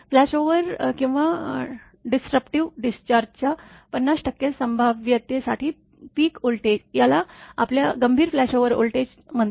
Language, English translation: Marathi, The peak voltage for a 50 percent probability of flashover or disruptive discharge, this is called your critical flashover voltage